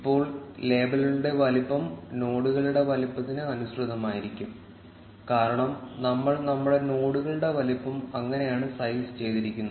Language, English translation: Malayalam, Now, the size of the labels will be in line with the size of the nodes, because that is how we have sized our nodes